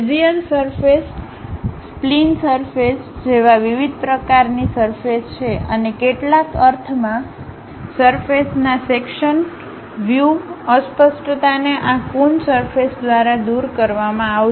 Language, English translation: Gujarati, There are different kind of surfaces like Bezier surfaces, spline surfaces and in some sense the ambiguity in terms of intersection of surfaces will be removed by this Coon surfaces